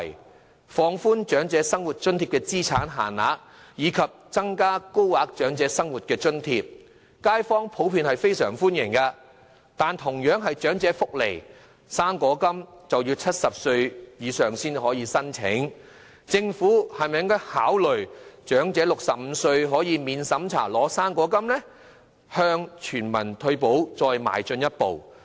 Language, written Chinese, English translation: Cantonese, 對於政府放寬長者生活津貼的資產限額，以及增加高額長者生活津貼，街坊普遍表示歡迎，但同樣屬長者福利的"生果金"，卻要70歲以上人士才可申請，政府應否考慮讓年滿65歲的長者免審查領取"生果金"，向全民退保邁進一步呢？, The public also generally welcome the Governments initiatives in relaxing the asset limits for the Old Age Living Allowance and adding a higher tier of assistance . However only elderly people reaching the age of 70 can apply for fruit grant which is also a type of elderly welfare . Would it be necessary for the Government to consider taking a step forward in providing universal retirement protection by allowing elderly persons aged 65 or above to receive non - means tested fruit grant?